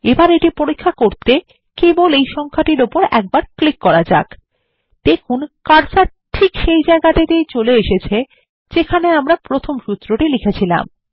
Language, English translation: Bengali, Let us test it by simply clicking on this number And notice that the cursor has jumped to the location where we wrote the first formula